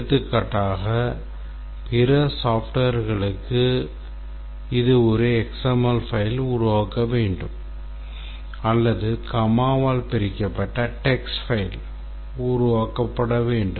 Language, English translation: Tamil, For example, we might say that for other software it need to produce a XML file or maybe a comma separated file, a text file, comma separated text file